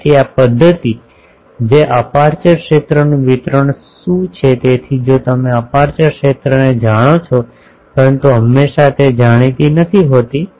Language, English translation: Gujarati, So, this method that what is the aperture field distribution so, if you know aperture field ok, but always it would not be known